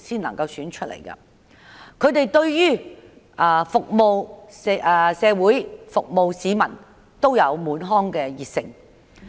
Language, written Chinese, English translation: Cantonese, 他們對於服務社會、服務市民滿腔熱誠。, They are full of passion in serving the community and the public